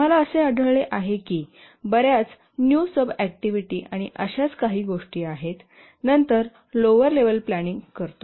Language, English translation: Marathi, We find that there are many new sub activities and so on and then we do a detailed lower level planning